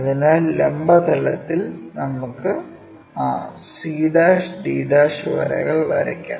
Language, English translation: Malayalam, So, we can visualize that in the vertical plane, draw that c' and d' lines